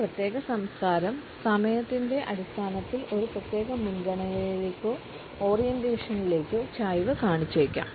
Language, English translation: Malayalam, A particular culture may be inclined towards a particular preference or orientation in terms of time